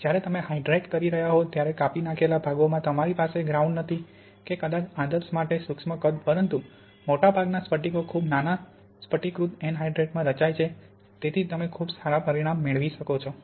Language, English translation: Gujarati, And in the slices when you are hydrating, Ok you have not ground that maybe to the ideal particle size but most of the crystals are formed in very small crystallized anhydrite, so you can get quite good results